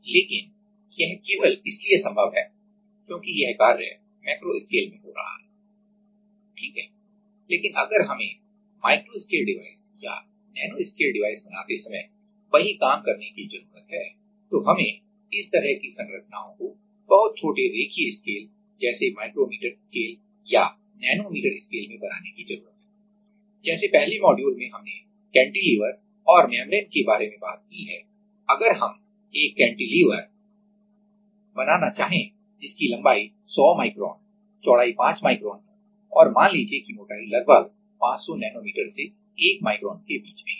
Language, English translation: Hindi, But this is possible only because this in macro scale right, but if we need to do the same thing like while we are making a micro scale device or nano scale device then we need to make this kind of structures in very small line scale like micrometer scale or in nanometer scale like, in the first module we have talked about cantilevers and membranes right if we want to; if we have to make a cantilever which has a like length of 100 micron with the 5 micron and let us say the thickness is something about 500 nanometer to 1 micron